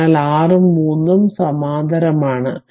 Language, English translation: Malayalam, So, 6 ohm and 3 ohm are in parallel right